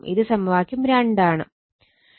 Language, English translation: Malayalam, So, it is actually 2